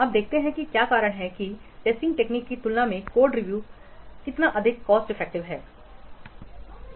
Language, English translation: Hindi, Now let's see what is the reason why code review is so much cost effective than the testing technique